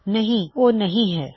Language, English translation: Punjabi, Now, its not